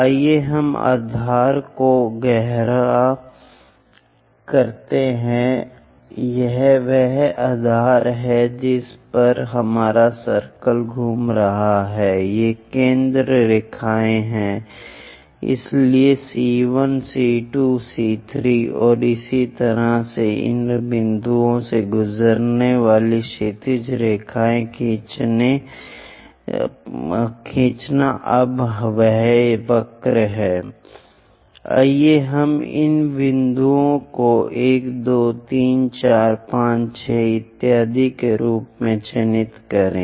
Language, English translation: Hindi, Let us darken the base this is the base on which our circle is rolling these are the center lines so, C1 C2 C3 and so on and draw horizontal lines going through these points now this is the curve let us mark these points as 1 2 3 4 5 6 and so on